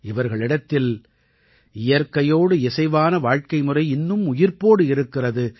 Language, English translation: Tamil, These people have kept the lifestyle of living in harmony with nature alive even today